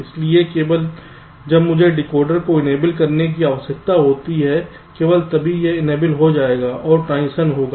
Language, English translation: Hindi, so only when i require to enable the decoder, only then this will be enabled and the transitions will take place